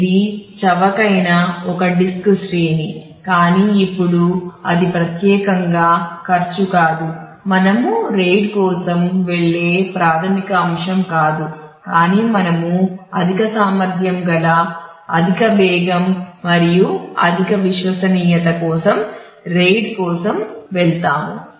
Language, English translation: Telugu, So, it was kind of a disk array which was inexpensive to afford, but now it is not particularly the expenses is not the primary factor for which we do go for RAID, but we go for RAID for the high capacity high speed and high reliability